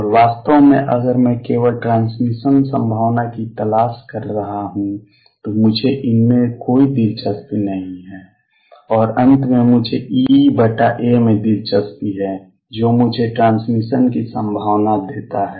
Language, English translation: Hindi, And In fact, if I am looking only for transmission probability I am not even interested in these and finally, I am interested in E over A, which gives me the transmission probability